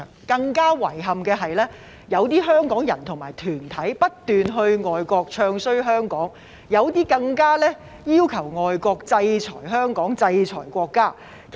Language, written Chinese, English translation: Cantonese, 更遺憾的是，有些香港人和團體不斷到外國"唱衰"香港，有些更加要求外國制裁香港，制裁國家。, More regrettably some Hong Kong people and organizations constantly went to foreign countries to bad - mouth Hong Kong and some of them even requested foreign countries to impose sanctions on Hong Kong and our country